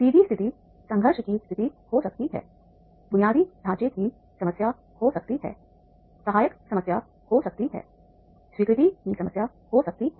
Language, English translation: Hindi, So, that may be the stress situation, there can be the conflict situations, there can be the infrastructure problem, there can be the supportive problem, there can be the acceptance problem